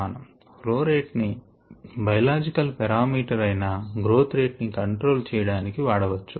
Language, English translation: Telugu, so the flow rate can be used to control a biological parameter, which is the growth rate